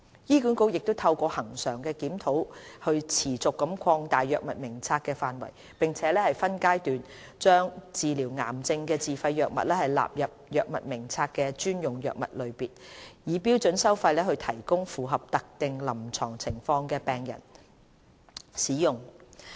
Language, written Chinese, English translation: Cantonese, 醫管局亦透過恆常的檢討持續擴大藥物名冊的範圍，並分階段把治療癌症的自費藥物納入藥物名冊的專用藥物類別，以標準收費提供予符合特定臨床情況的病人使用。, HA has been extending the coverage of its Drug Formulary through regular review . Self - financed cancer drugs are incorporated into the Drug Formularys special drug category in phases and provided for patients with specific clinical indications at standard fees and charges